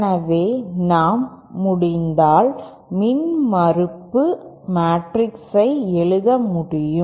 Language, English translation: Tamil, So if we can if we can write down the impedance matrix